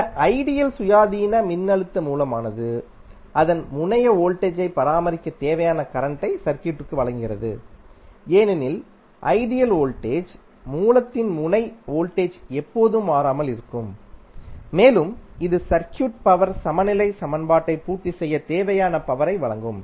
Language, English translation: Tamil, In this case the ideal independent voltage source delivers to circuit the whatever current is necessary to maintain its terminal voltage, because in case of ideal voltage source your terminal voltage will always remain constant and it will supply power which is necessary to satisfy the power balance equation in the circuit